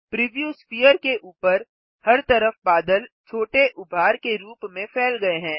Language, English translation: Hindi, All over the preview sphere the clouds are spread as small bumps